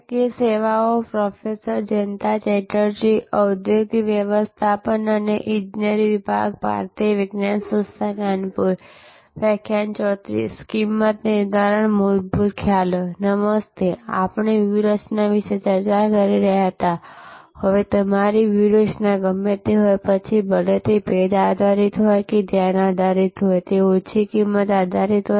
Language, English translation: Gujarati, Hello, we were discussing about strategy, now whatever maybe your strategy, whether it is differentiation based or it is focus based or low cost based